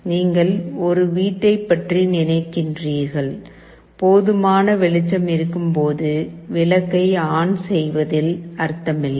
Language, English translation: Tamil, You think of a home, when there is sufficient light there is no point in switching ON the light